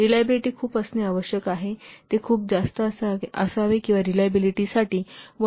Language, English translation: Marathi, The reliability is required to be very, it should be very high and for reliability, very high value is 1